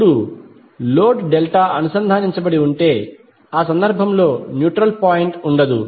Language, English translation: Telugu, Now if the load is Delta connected, in that case the neutral point will be absent